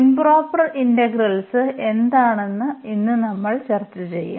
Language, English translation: Malayalam, But, now we will discuss today what are the improper integrals